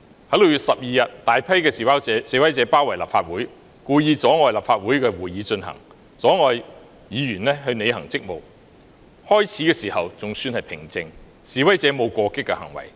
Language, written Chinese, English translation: Cantonese, 在6月12日，大批示威者包圍立法會大樓，故意阻礙立法會會議進行，阻礙議員履行職務，最初情況尚算平靜，示威者並無過激的行為。, On 12 June a large group of protesters besieged the Legislative Council Complex deliberately obstructing the proceedings of the Legislative Council and hindering Members from performing their duties . Initially the situation was still kind of calm